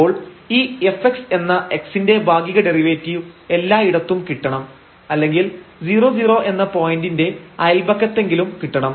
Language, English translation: Malayalam, So, we need to get these f x the partial derivative of x at all the points here at least in the neighborhood of this 0 0 point